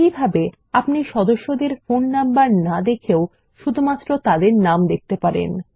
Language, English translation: Bengali, In this way, we can only see the names of the members and not their phone numbers